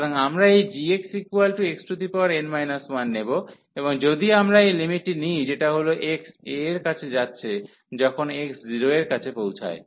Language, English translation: Bengali, So, we will take this g exactly x power n minus 1 and if we take this limit as x approaching to a, when x approaching to 0